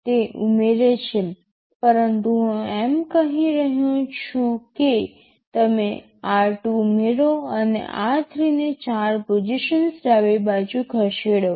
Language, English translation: Gujarati, Iit adds, but I can also say you add r 2 and r 3 shifted left by 4 positions